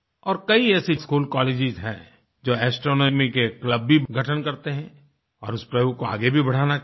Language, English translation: Hindi, And there are many such schools and colleges that form astronomy clubs, and such steps must be encouraged